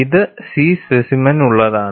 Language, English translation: Malayalam, This is for the C specimen